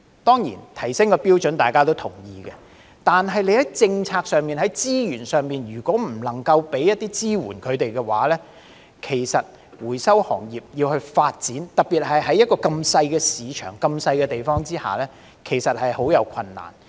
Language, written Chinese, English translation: Cantonese, 當然提升標準是大家也同意的，但如政府在政策上、資源上未能提供一些支援，回收行業要發展，特別在這麼小的市場、這麼小的地方下，其實是很困難的。, Certainly we all agree to raise the standard . Yet if the Government fails to provide support in terms of policy and resources it will be very difficult for the recycling industry to develop especially in such a small market and such a tiny place